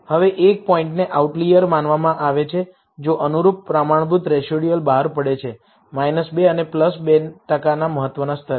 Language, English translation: Gujarati, Now, a point is considered an outlier, if the corresponding standardized residual falls outside, minus 2 and plus 2 at 5 per cent significance level